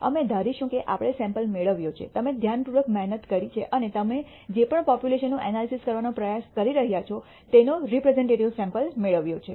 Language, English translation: Gujarati, We will assume that we have obtained a sample; you have done the due diligence and obtained the representative sample of whatever population you are trying to analyze